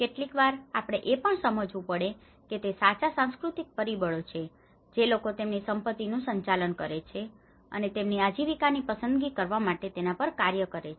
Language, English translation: Gujarati, Sometimes we also have to understand it is also true the cultural factors which people manage their assets and make their livelihood choices to act upon